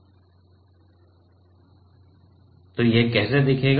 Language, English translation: Hindi, And how this will look like